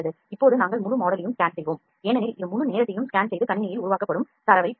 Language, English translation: Tamil, Now we will scan the whole model because it will it will take some time it will scan the whole model and get you the data that is generated on the computer